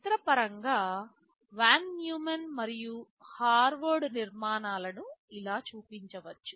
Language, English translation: Telugu, Pictorially Von Neumann and Harvard architectures can be shown like this